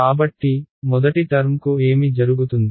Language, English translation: Telugu, So, in the first term what happens to the first term